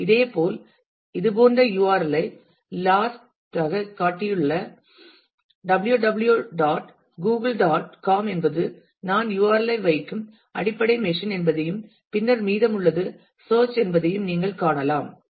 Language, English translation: Tamil, Similarly, this such URL can also in the last example you can see that www [dot] Google [dot] com is the basic machine where I am putting the URL and then the rest of it is search